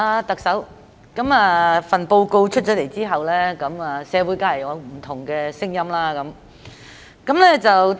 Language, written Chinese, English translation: Cantonese, 特首，這份施政報告出來後，社會當然會有不同的聲音。, Chief Executive after the release of this Policy Address there will certainly be different voices in the community